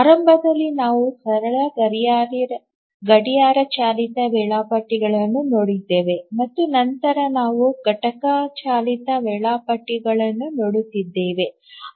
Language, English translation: Kannada, Initially we looked at simple, even simple clock driven schedulers and later we have been looking at event driven schedulers